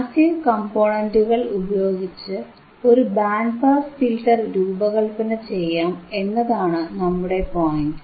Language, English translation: Malayalam, tThe point is, you can design a band pass filter with your passive components